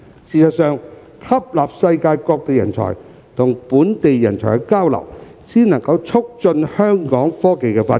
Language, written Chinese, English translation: Cantonese, 事實上，吸納世界各地人才與本地人才交流，才能促進香港的科技發展。, As a matter of fact the only way to boost the technology development of Hong Kong is to attract talents from all over the world and facilitate their exchanges with local talents